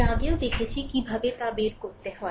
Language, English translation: Bengali, Earlier, we have seen that how to find out